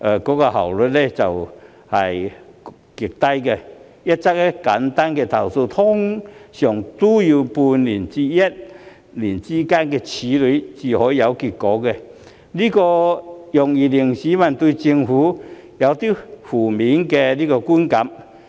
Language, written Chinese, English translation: Cantonese, 舉例而言，處理一則簡單的投訴，往往也需時半年至一年才會有結果，這容易令市民對政府產生負面的觀感。, For example it often takes half a year to one whole year for completing the processing of a simple complaint before the outcome is known which may easily lead to a negative perception of the Government by the public